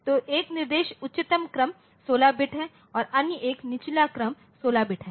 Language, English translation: Hindi, So, one instruction is the higher order 16 bit and other one is the lower order 16 bit